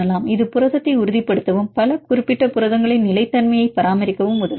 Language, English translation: Tamil, This is also help to stabilize the protein and maintain the stability of the several particular proteins